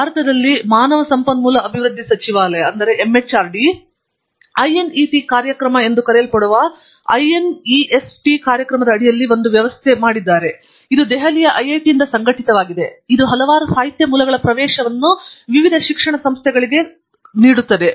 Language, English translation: Kannada, And, in India, there is an arrangement made by the Ministry of Human Resources Development under the so called INDEST program, which is being coordinated by IIT, Delhi, which provides access to a large number of literature sources to various education institutes in the countries